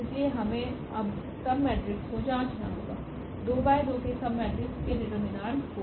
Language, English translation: Hindi, So, we have to check now the submatrices the determinant of submatrices of order 2 by 2